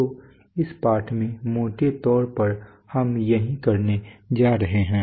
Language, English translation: Hindi, So that’s what we are going to do in this lesson broadly speaking